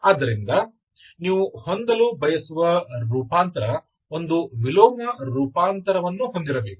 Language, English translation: Kannada, So you want to have a transformation, it should have inverse transformation